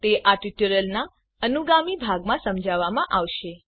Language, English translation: Gujarati, It will be explained in subsequent part of the tutorial